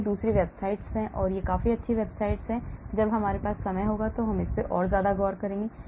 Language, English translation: Hindi, And so there are many websites and this is quite a good website, when we have time we will look at this as well